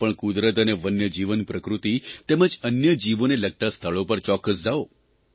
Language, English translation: Gujarati, You must also visit sites associated with nature and wild life and animals